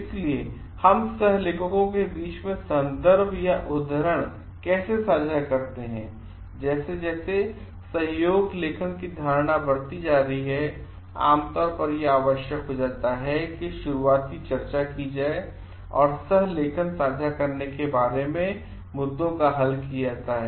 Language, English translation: Hindi, So, how do we share credit amongst coauthors; as collaborations are becoming very common, it becomes essential that early discussion are held and issues regarding sharing co authorship are resolved